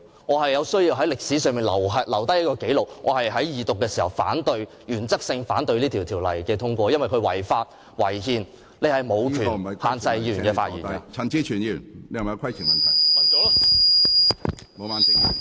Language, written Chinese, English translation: Cantonese, 我有需要在歷史上留下這紀錄，述明在法案二讀時，我是在原則上反對這項《條例草案》通過，因為這項《條例草案》違法、違憲。, I have to put down this record in history to state clearly that during the Second Reading of the Bill I oppose the Bill in principle because the Bill is unlawful and unconstitutional